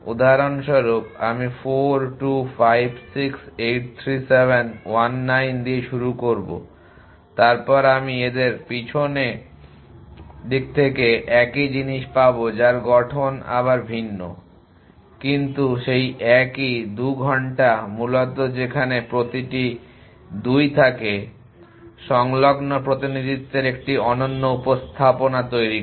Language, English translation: Bengali, For example, I would start with 4 2 5 6 8 3 7 1 9 then I would get same to our back which is the different formation, but the same 2 hours essentially where is every 2 are has a unique representation in the adjacency representation